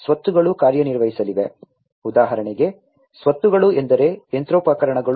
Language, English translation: Kannada, The assets are going to perform, you know, the for example assets means like machinery etcetera